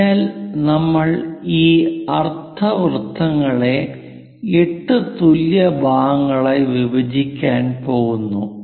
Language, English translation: Malayalam, So, we are going to divide these semicircle into 8 equal parts